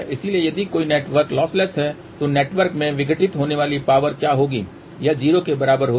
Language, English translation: Hindi, So, if a network is lossless what will be the power dissipated in the network, it will be equal to 0